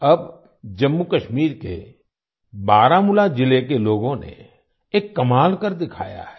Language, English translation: Hindi, Now the people of Baramulla district of Jammu and Kashmir have done a wonderful job